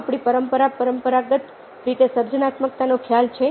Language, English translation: Gujarati, do we traditionally have a concept of creativity in our tradition